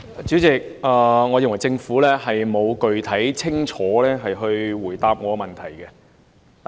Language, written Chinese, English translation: Cantonese, 主席，我認為政府沒有具體、清楚地回答我的質詢。, President I think that the Government has not answered my question specifically and clearly